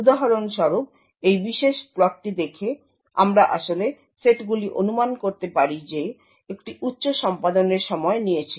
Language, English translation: Bengali, For example looking at this particular plot we can actually infer the sets which had incurred a high execution time